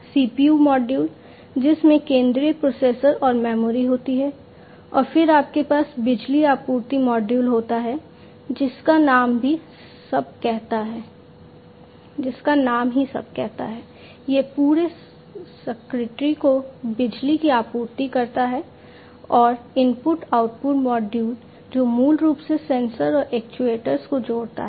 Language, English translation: Hindi, The CPU module which consists of the central processor and the memory, and then you have the power supply module, which the name says it all, it supplies power to the entire circuitry, and the input output module which basically connects the sensors and the actuators